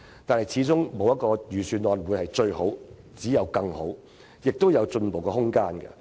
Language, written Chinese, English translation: Cantonese, 然而，沒有一份預算案會是最好，只有更好，今年的預算案還有進步的空間。, That said there is no such thing as the best budget as there can only be better ones . There is still room for improvement in this years Budget